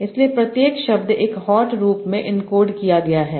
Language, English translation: Hindi, So each word is encoded in one hot form that is here